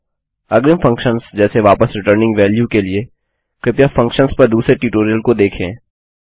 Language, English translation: Hindi, For advanced functions, like returning value, please check the other tutorials on functions